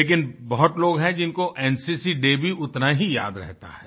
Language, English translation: Hindi, But there are many people who, equally keep in mind NCC Day